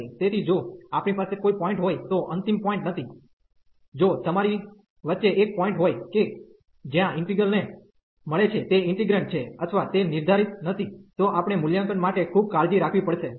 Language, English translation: Gujarati, So, if we have a point not the end point, if you have a point in the middle where the integral is getting is integrand is unbounded or it is not defined, we have to be very careful for the evaluation